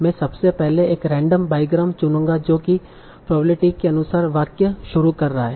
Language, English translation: Hindi, So I will first choose a random bygram that is starting the sentence as with the probability